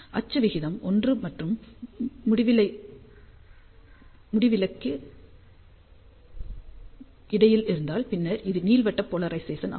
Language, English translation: Tamil, If axial ratio is between 1 and infinity, then it is elliptical polarization